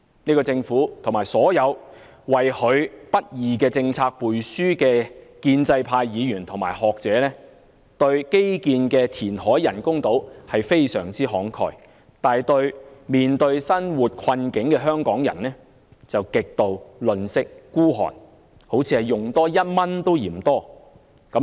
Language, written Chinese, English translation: Cantonese, 這個政府，以及所有為其不義政策背書的建制派議員和學者，對花在基建、填海興建人工島項目上非常慷慨，但對處於生活困境的香港人卻極度吝嗇，好像花1元也嫌多般。, This Government as well as all pro - establishment Members and the scholars who have endorsed its unjust policies are very generous in spending money on infrastructure reclamation and construction of artificial islands but they are extremely tight - fisted to the people of Hong Kong who are living in great hardship and it seems to them that an extra one dollar is too much